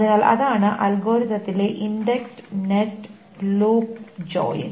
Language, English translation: Malayalam, The next algorithm in this space is the indexed nested loop join